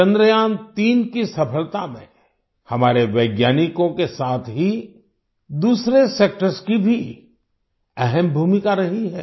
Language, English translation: Hindi, Along with our scientists, other sectors have also played an important role in the success of Chandrayaan3